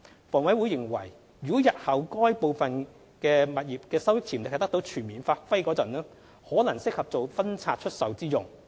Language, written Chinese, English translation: Cantonese, 房委會認為如日後部分該等物業的收益潛力得到全面發揮時，可能適合做分拆出售之用。, HA considered that some of these properties might be suitable for divestment when their revenue potential was fully realized in future